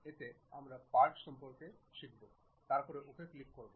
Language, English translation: Bengali, In that we are learning about Part, then click Ok